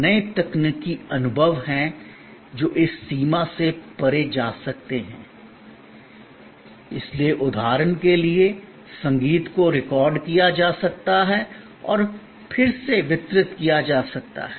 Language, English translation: Hindi, There are new technological experiences that can go beyond this limitation, so like for example, music can be recorded and delivered again and again